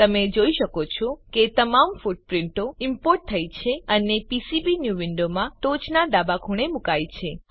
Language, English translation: Gujarati, You can see that all the footprints are imported and placed in top left corner in PCBnew window